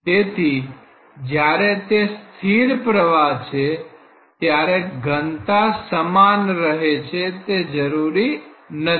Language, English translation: Gujarati, So, when it is steady flow it need not be constant density